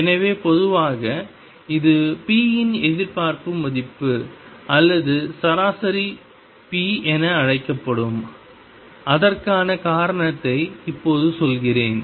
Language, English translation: Tamil, So, in general this is going to be called the expectation value of p or the average p and let me now tell you why